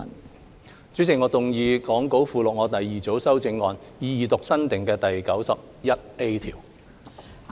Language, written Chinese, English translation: Cantonese, 代理主席，我動議講稿附錄我的第二組修正案，以二讀新訂的第 91A 條。, Deputy Chairman I move my second group of amendment to read new clause 91A as set out in the Appendix to the Script the Second time